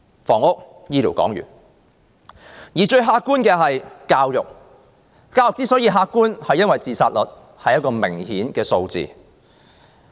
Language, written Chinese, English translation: Cantonese, 談完房屋和醫療，最客觀的是教育。教育之所以客觀，是因為學生自殺數目是明確的數字。, Apart from housing and health care the most objective issue is education in that the number of student suicides is a precise number